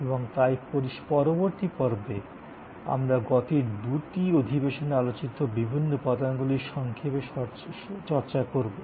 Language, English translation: Bengali, And so in the next episode, we will take up the different elements that we have discussed in the last 2 lectures in short